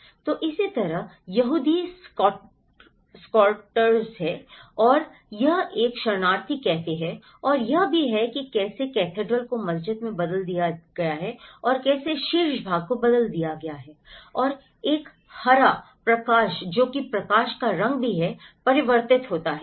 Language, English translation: Hindi, So, similarly, there is Jewish squatters and this is a refugee cafe and there is also how a cathedral has been converted into the mosque and how the top part is replaced and a green light which is also the colour of the light is also reflected